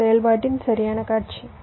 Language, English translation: Tamil, this is the correct scenario of operation